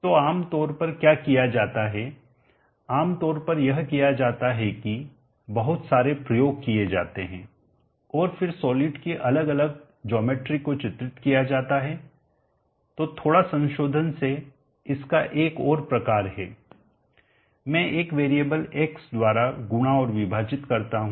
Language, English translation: Hindi, So normally what is done commonly done is that lot experimentation as been done and then different geometries of solids have been characterized so slight modification a variant of that is I multiply and divided by a variable x now what this x is let me tell you in a short movement so